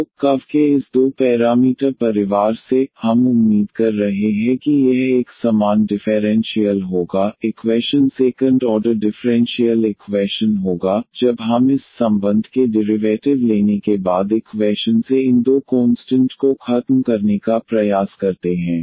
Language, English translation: Hindi, So, out of this two parameter family of curves, we are expecting that it will be a corresponding differential equation will be a second order differential equation, when we try to eliminate these two constants from the equations after taking the derivative of this relation